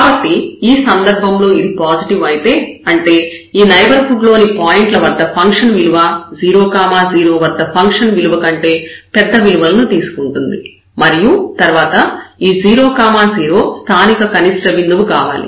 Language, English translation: Telugu, So, in this case if this is positive; that means, in the neighborhood the function is taking more values, the larger values and then this 0 0 has to be a point of a local minimum